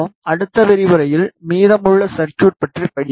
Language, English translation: Tamil, We will study rest of the circuit in the next lecture